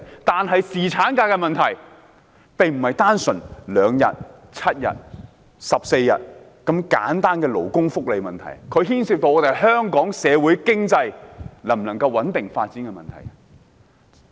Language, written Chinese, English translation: Cantonese, 但是，侍產假並不單純是2天、7天、14天的勞工福利問題，而是牽涉到香港社會經濟能否穩定發展的問題。, However the paternity leave issue is not simply a matter of labour welfare benefits concerning 2 7 or 14 days; the issue will determine whether stable social and economic development can be maintained in Hong Kong